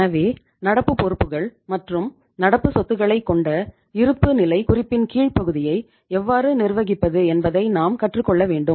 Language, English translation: Tamil, So we have to here learn that in this balance sheet how to manage the lower part of the balance sheet where we talk about the current liabilities and we talk about the current assets